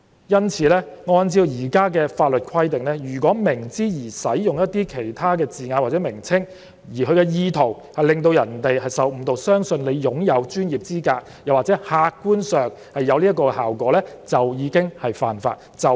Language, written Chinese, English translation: Cantonese, 因此，按照現行法例的規定，如果明知而使用一些字眼或名稱，而其意圖是致使其他人受誤導，相信他擁有專業資格或客觀上達致這個效果，即屬犯法。, Therefore in accordance with the provisions of the existing legislation it is an offence to knowingly use certain terms or descriptions intended to mislead other people into believing that he has the professional qualifications or to objectively achieve this effect